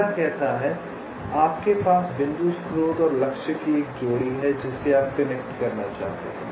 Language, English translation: Hindi, the first one says: so you have a pair of points source and target which you want to connect